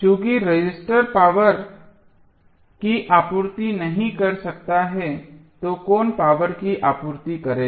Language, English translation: Hindi, Since the register cannot supply power who supply is this power